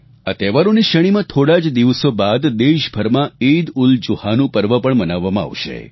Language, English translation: Gujarati, In this series of festivals, EidulZuha will be celebrated in a few days from now